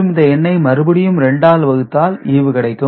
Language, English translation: Tamil, 25, then we multiplied by 2 again, so we get 0